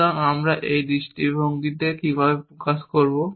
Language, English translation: Bengali, So, how do we express this view